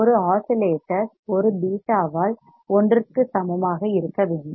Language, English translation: Tamil, Once the oscillations is by a beta should be equal to one right